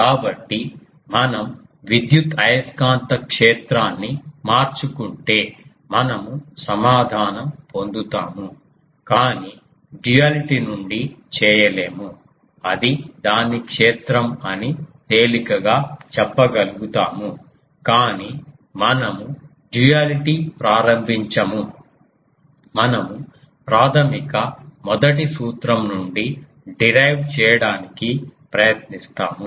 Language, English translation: Telugu, So, we can say that if we change the electrical magnetic field; we get the answer, but we will not do that ah from duality it can be easily said what it will be its field, but we own think of duality we will try to derive the from the basic first principle